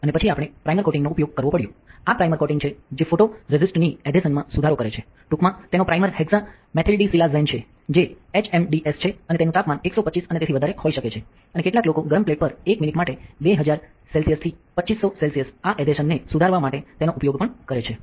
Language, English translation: Gujarati, And then we had to use a primer coating, this primer coating is to improve the adhesion of photoresist and its primer is hexamethyldisilazane which is HMDS in short and the temperature can be 125 and above you some people also use it 200 centigrade to 250 degree centigrade for 1 minute on hot plate this is to improve the adhesion right